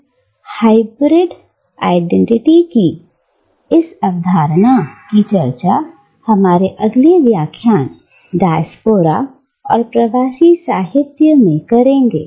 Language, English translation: Hindi, We will discuss, this notion of Hybrid Identity, further, in our next lecture on Diaspora and diasporic Literature